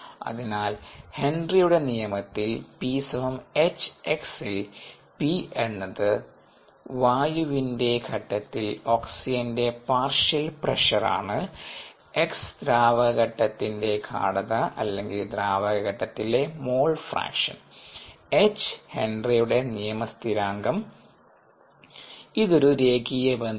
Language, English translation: Malayalam, because we know henrys law, p equal to h, x, where p is the ah partial pressure of oxygen in the air phase and x is the ah is the appropriate concentration in the liquid phase, ah, the mole fraction, is the liquid phase, ah, therefore the which is connected through the henrys law constant, and if we worked that out, that's ah